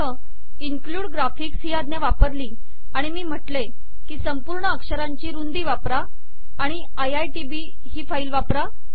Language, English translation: Marathi, So for example, include graphics command is used and Im saying that use the complete width of the text and the file is iitb